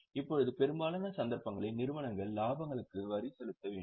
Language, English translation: Tamil, Now, most of the cases, companies have to pay tax on profits